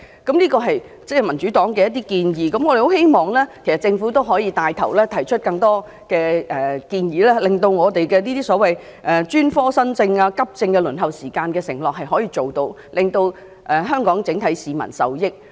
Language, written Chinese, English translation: Cantonese, 這些是民主黨的建議，我們希望政府能帶頭提出更多建議，以兌現對專科新症及急症的輪候時間的承諾，令全港市民受益。, This is the proposal of the Democratic Party and we hope that the Government will take the lead in putting forward more proposals in order to honour the performance pledge on the waiting time for accident and emergency cases and new cases for specialist services and thereby benefiting everyone in Hong Kong